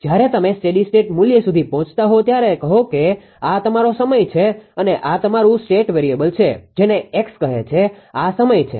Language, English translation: Gujarati, When you when you are reaching to the steady state value say this is your time and this is your state variable say some X, right